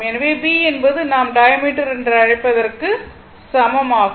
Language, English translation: Tamil, So, b is equal to your what you call the diameter